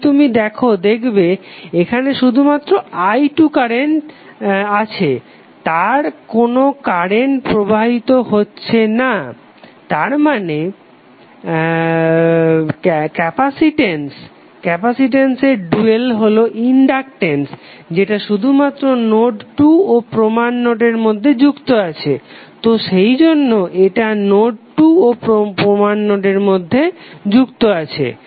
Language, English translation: Bengali, If you see this is having only current i2, no any current is flowing it means that the dual of capacitance that is inductance would be connected between node 2 and reference node only, so that is why this is connected between node 2 and reference node